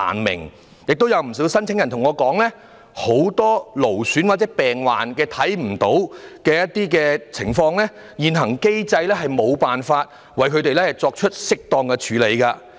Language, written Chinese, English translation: Cantonese, 另外，亦有不少申請人向我表示，很多勞損和病患是外表看不到的情況，現行機制無法為他們提供適當的援助。, Moreover many applicants have also told me that many strain injuries and diseases are not physically visible and so the existing mechanism fails to render them appropriate assistance